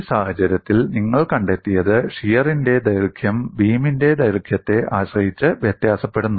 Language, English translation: Malayalam, And in this case, what you find is the shear force varies linearly over the length of the beam